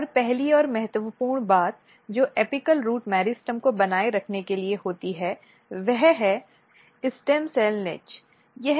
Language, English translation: Hindi, And the first and very important thing what happens for the maintaining apical root meristem is positioning stem cell niche